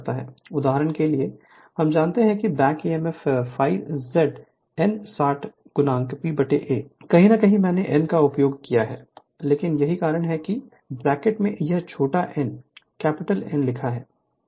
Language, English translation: Hindi, So, for example, we know that back Emf is equal to phi Z small n upon 60 into P by A somewhere I might have used capital n, but same thing that is why in the bracket it is written small n is equal to capital N